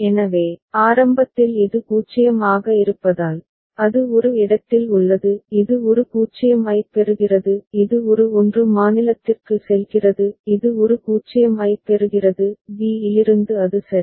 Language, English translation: Tamil, So, state initially it is 0 so it is at a; it receives a 0 it goes to state a; it receives a 1 goes to state b; it receives a 0 goes to state a; from b it goes to a ok